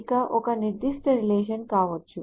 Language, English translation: Telugu, This can be a particular relation